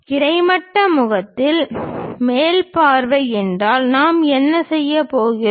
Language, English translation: Tamil, If it is a top view the horizontal face what we are going to do